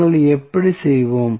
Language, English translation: Tamil, So, how we will do